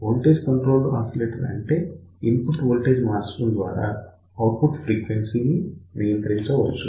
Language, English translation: Telugu, So, what is voltage controlled oscillator basically you can control the output frequency by varying the input voltage